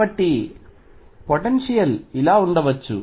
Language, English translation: Telugu, So, potential could be something like this